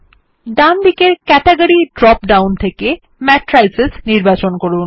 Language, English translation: Bengali, In the category drop down on the right, let us choose Matrices